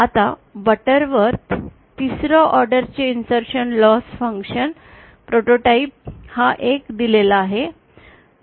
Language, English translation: Marathi, Now the Butterworth 3rd order insertion loss function prototype is given as this one